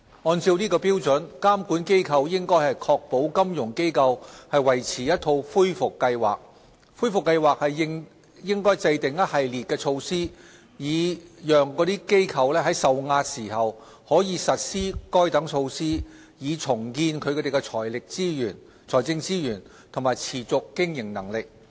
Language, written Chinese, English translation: Cantonese, 按照該標準，監管機構應確保金融機構維持一套恢復計劃。恢復計劃應制訂一系列措施，以讓該機構在受壓時，可以實施該等措施，以重建其財政資源和持續經營能力。, According to these standards supervisory authorities should ensure that financial institutions maintain a recovery plan that sets out a full menu of options to restore financial strength and viability when they come under stress